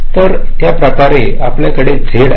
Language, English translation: Marathi, then similarly, we have z, again with two